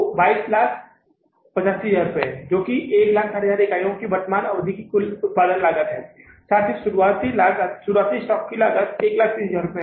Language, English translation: Hindi, Total cost is how much, 22,085,000 which is the cost of production of the current period of 160,000 units plus the cost of the opening stock which is 130,000